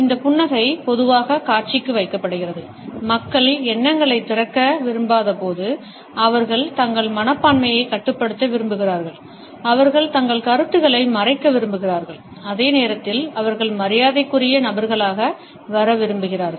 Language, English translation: Tamil, This smile is normally exhibited, when people do not want to opened up with thoughts, they want to restrain their attitudes, they want to conceal their ideas and at the same time they want to come across as affable people